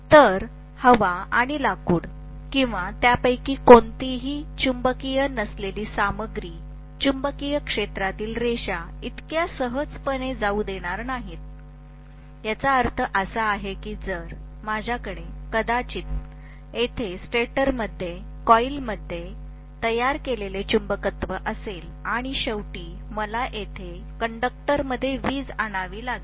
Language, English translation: Marathi, Whereas, the non magnetic materials like air or wood or any of them will not allow the magnetic field lines to pass through so easily; which means if I have to have probably the magnetism produced in the coils here in the stator and ultimately, I have to induce electricity in the conductors here